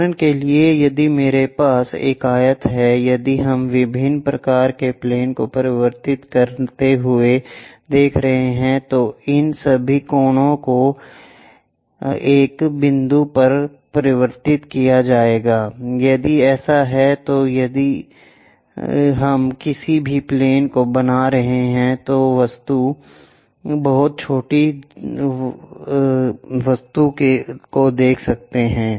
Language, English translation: Hindi, For example, if I have a rectangle, if we are looking at converging kind of planes, all these corners will be converged to a single point, if so, then if we are making any plane the object may look a very small object with proper scaling or it might look very large object